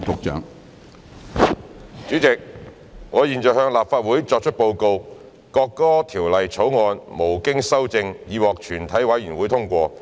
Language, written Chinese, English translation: Cantonese, 主席，我現在向立法會作出報告：《國歌條例草案》無經修正已獲全體委員會通過。, President I now report to the Council That the National Anthem Bill has been passed by committee of the whole Council without amendment